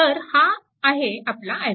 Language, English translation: Marathi, So, this will be your i 3